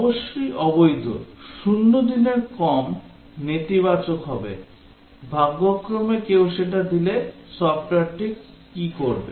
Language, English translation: Bengali, The invalid of course, will be less than 0 days negative, by chance somebody enters that what will the software do